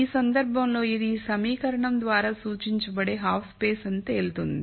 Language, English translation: Telugu, In this case it will turn out that this is the half space that is represented by this equation